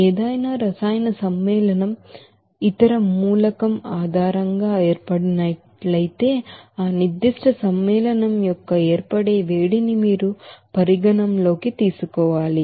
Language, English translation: Telugu, Whereas if any chemical compound is formed based on some other element then you have to you know consider what should be the heat of formation for that particular compound